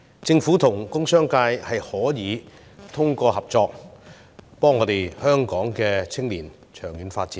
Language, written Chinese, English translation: Cantonese, 政府和工商界可以通過合作，幫助籌謀香港青年的長遠發展。, The Government and the business sector should hence work together to help them plan for their long - term development